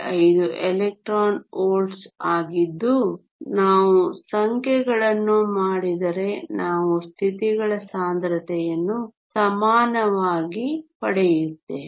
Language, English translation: Kannada, 5 electron volts which we can convert into joules if we do the numbers we get the density of states to be equal